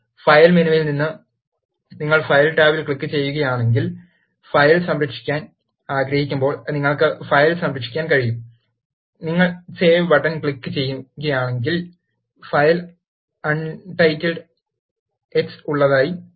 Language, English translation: Malayalam, From the file menu, if you click the file tab, you can either save the file, when you want to save the file, if you click the save button, it will automatically save the file has untitled x